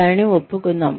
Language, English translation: Telugu, Let us admit it